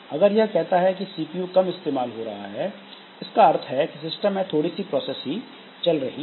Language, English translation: Hindi, Like if the CPU usage is low, that means that there are not much processes in the system